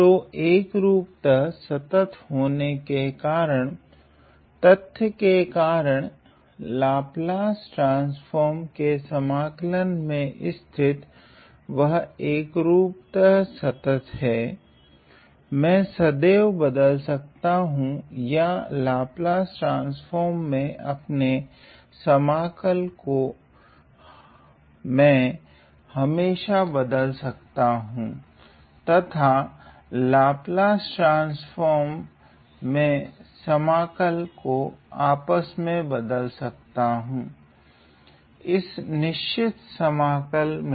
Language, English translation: Hindi, So, due to uniform convergence, due to the fact that, we have uniform convergence of the integral in the Laplace transform, I can always replace or I can always exchange my integral within the Laplace transform and replace or interchange the integral of the Laplace transform with the integral of this particular definite integral